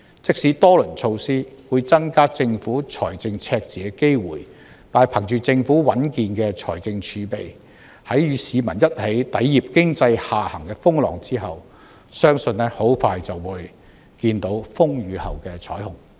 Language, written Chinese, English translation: Cantonese, 即使多輪措施會增加政府財政赤字的機會，但憑着政府穩健的財政儲備，在與市民一起抵禦經濟下行的風浪後，相信很快便看到風雨後的彩虹。, These rounds of measures may increase the likelihood of a fiscal deficit . But given the robust fiscal reserve of the Government after the Government tides over this economic downturn together with the people I believe we will soon see the rainbow after the storm